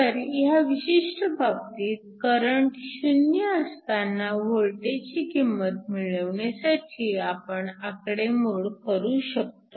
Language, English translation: Marathi, So, In this particular case, we can calculate the voltage at which current is 0